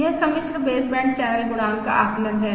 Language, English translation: Hindi, This is the estimate of the complex baseband channel coefficient